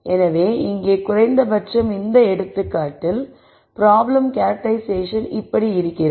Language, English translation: Tamil, So, here at least for this example the problem characterization goes like this